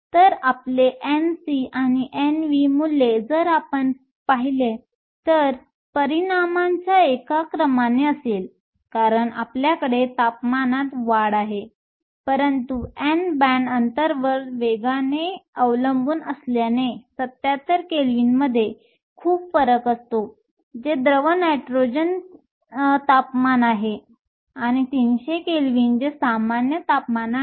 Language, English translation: Marathi, So, your N c and N v values if you look or of by one order of magnitude, simply because you have a rise in temperature, but because your n i depends exponentially on the band gap, there is a huge variation between 77 Kelvin, which is your liquid nitrogen temperature, and 300 Kelvin which is room temperature